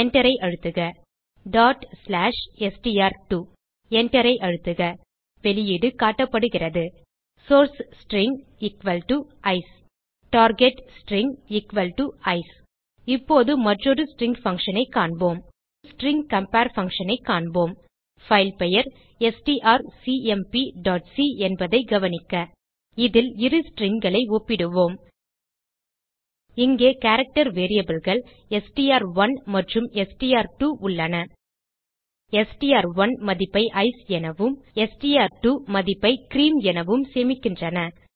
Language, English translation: Tamil, Press Enter Type ./str2 .Press Enter The output is displayed as source string = Ice target string = Ice Now let us see another string function Now we will see the string compare function Note that our filename is strcmp.c In this we will comapre two strings Here we have character variables as str1 and str2 str1 stores the value as Ice and str2 stores the value as Cream